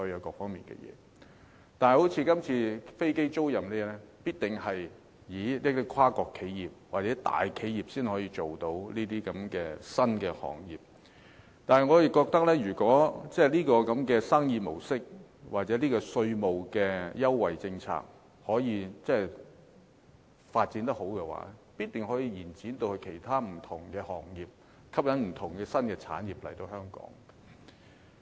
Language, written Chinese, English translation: Cantonese, 但是，正如這次說的飛機租賃，是跨國企業或大企業才能從事的新行業，如果這種生意模式或稅務優惠政策發展得好，必定可以延展至其他不同的行業，吸引不同的新產業來港。, However aircraft leasing business under discussion is a new industry that only transnational or big enterprises can engage in and given smooth development of this mode of business operation or the relevant tax concession policy the measures can definitely be extended to other different trades and industries and attract various new industries to come and develop in Hong Kong